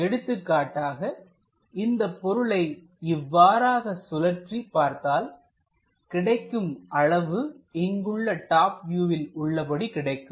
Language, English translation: Tamil, For example, if we are rotating this object in that way, we are going to get this one as the dimension here for the top view